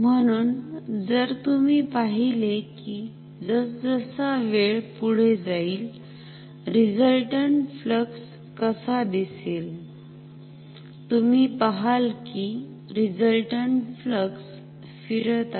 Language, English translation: Marathi, So, if you see how the resultant flux looks like as time progresses, you see actually the resultant flux is rotating